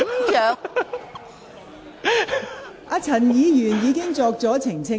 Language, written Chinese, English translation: Cantonese, 陳志全議員已作出澄清。, Mr CHAN Chi - chuen has already made a clarification